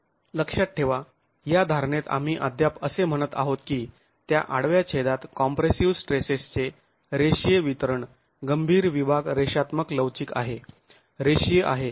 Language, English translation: Marathi, Mind you in this assumption we are still continuing to assume that the linear distribution of compressive stresses at that cross section, the critical section is linear elastic, is linear